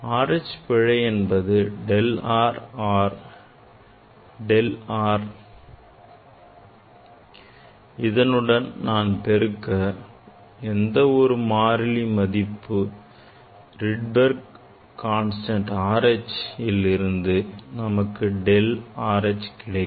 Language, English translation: Tamil, error in R H; error in R H you can del R or del R equal to whatever this value you got multiplied with this Rydberg constant R h that will give the delta R H